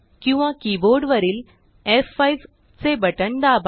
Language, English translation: Marathi, or use the keyboard shortcut F5